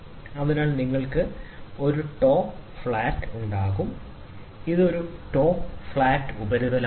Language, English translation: Malayalam, So, you will have a top flat, this is a top flat surface